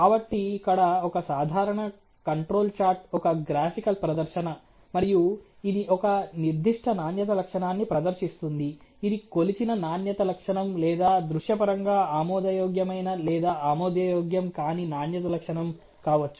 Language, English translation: Telugu, So, here a typical control chart would be a sort of a graphical display, and this would sort of display a certain quality characteristics which is either a measured quality characteristics or may be visually acceptable or unacceptable kind of a quality characteristics